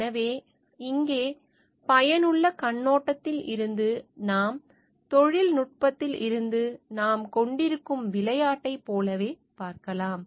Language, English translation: Tamil, So, here from the utilatarian perspective also we can see like the game that we have from the technology